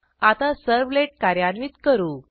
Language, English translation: Marathi, Now, let us run the servlet